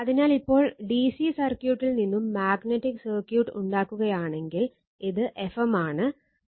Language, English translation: Malayalam, So, now if we make the DC circuit magnetic circuit like this, so this is F m, and this is phi, this is R